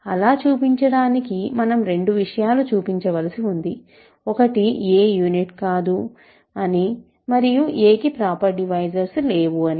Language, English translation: Telugu, So, to show, we have to show two things, a is not a unit and a has no proper divisors, right